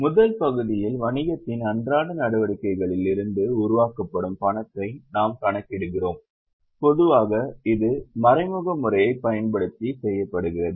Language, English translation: Tamil, In the first part we calculate the cash generated from day to day activities of the business and normally it is done using indirect method